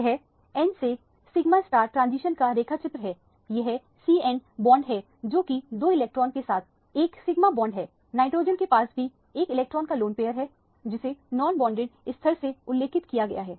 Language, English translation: Hindi, This is a diagrammatic representation of the n to sigma star transition, this is the c n bond which is a sigma bond with 2 electron, the nitrogen also has a lone pair of electron which is represented by that level which is the non bonded level